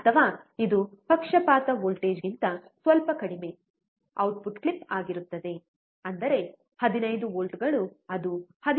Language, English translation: Kannada, Or it will be the output clip little bit less than what the bias voltage is, that is 15 volts it will clip somewhere around 13